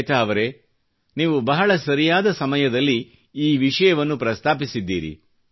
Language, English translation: Kannada, Shveta ji, you have raised this issue at an opportune time